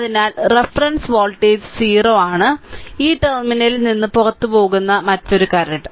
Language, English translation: Malayalam, So, reference voltage is 0 so, another current actually leaving this terminal